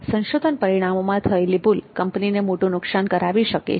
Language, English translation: Gujarati, Any error in the research results can prove to be a big loss for the company